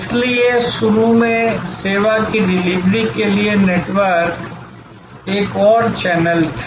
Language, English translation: Hindi, So, initially the network was another channel for delivery of service